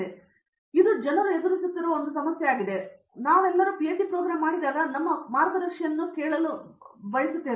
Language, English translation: Kannada, So, this is one problem which people face and somehow when we all did our PhD program, we use to listen to our guides